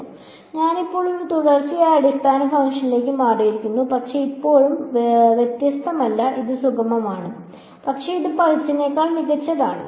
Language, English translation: Malayalam, So, I have now moved to a continuous basis function, but still not differentiable right it is not smooth, but it is it is better than pulse